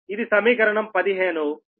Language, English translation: Telugu, this is equation fifteen